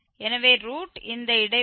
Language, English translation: Tamil, So, the root lies in this 0